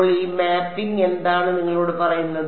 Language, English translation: Malayalam, So, what is this mapping tell you